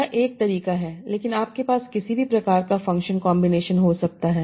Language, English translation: Hindi, But you can have any other sort of functional combinations